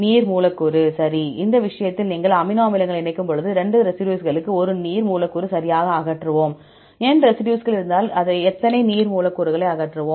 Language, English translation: Tamil, Water molecule, right; so in this case, when you combine amino acids, 2 residues we will eliminate one water molecule right, if there are N residues, how many water molecule we will eliminate